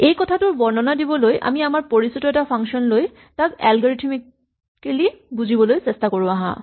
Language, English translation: Assamese, So to illustrate this let us look at the function which most of us have seen and try to understand the algorithmically